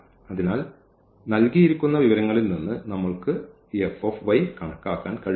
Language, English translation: Malayalam, So, we cannot compute this F y from the given information